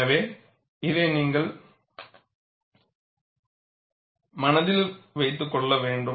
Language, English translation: Tamil, So, this you have to keep in mind